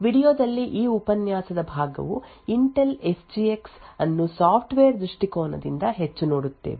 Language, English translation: Kannada, In this part of the video lecture we will look at Intel SGX more from a software perspective